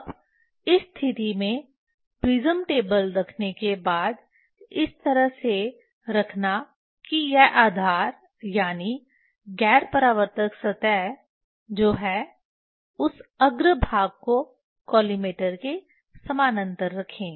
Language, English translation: Hindi, now, after placing the prism table in this case placing such a way that this is base non reflecting surface that one that keep nearly parallel this face to the collimator